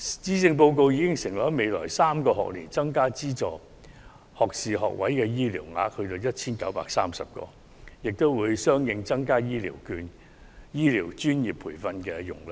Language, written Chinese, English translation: Cantonese, 施政報告已承諾在未來3個學年增加資助學士學位醫療學額至 1,930 個，並相應增加醫療專業培訓容量。, The Policy Address has pledged that the number of health care - related publicly - funded first - degree intake places will be increased to 1 930 in the next three academic years and the capacity for relevant professional health care training will also be expanded